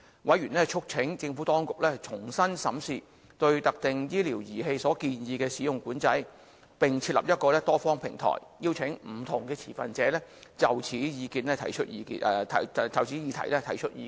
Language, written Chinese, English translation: Cantonese, 委員促請政府當局，重新審視對特定醫療儀器所建議的使用管制，並設立一個多方平台，邀請不同持份者就此議題提出意見。, Members of the Panel urged the Administration to revisit the proposed use control of specific medical devices and set up a multi - party platform to invite different stakeholders to provide views on the subject